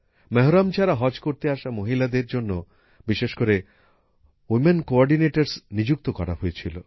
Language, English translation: Bengali, Women coordinators were specially appointed for women going on 'Haj' without Mehram